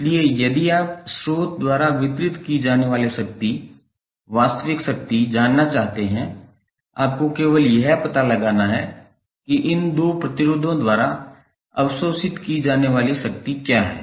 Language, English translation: Hindi, So, if you want to know that what the power active power being delivered by the source you have to simply find out what the power being absorbed by these two resistances